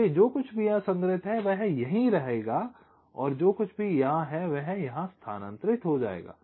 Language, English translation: Hindi, so whatever is stored here, that will remain here, and whatever is here will get transferred here